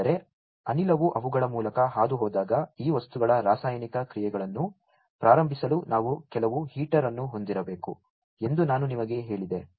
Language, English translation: Kannada, Because I told you that we need to have some heater in order to start this chemical processes of this materials when the gas is pass through them